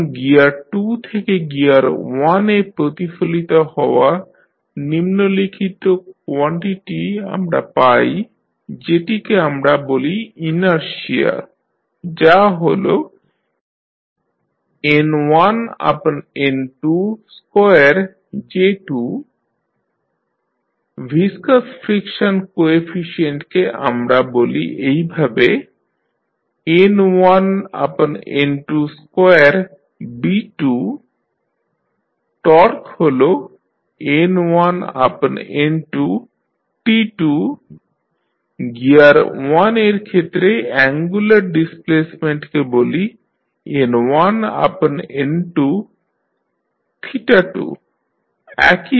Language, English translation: Bengali, Now, the following quantities we obtained when reflecting from gear 2 to gear 1 we define them as the inertia that is N1 upon N2 square J2, viscous friction coefficient we say as N1 upon N2 square B2, torque N1 upon N2 into T2, angular displacement we say with respect to the gear 1, that is N1 upon N2 into theta 2